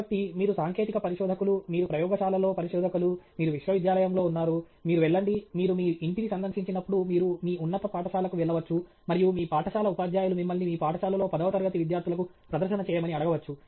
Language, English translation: Telugu, Okay so, you are a technical researcher, you are a researcher in a lab, you are in a university, you go to… maybe you go to your high school when you visit your home and your school teachers may ask you to make a presentation to say the tenth grade students or tenth standard students in your school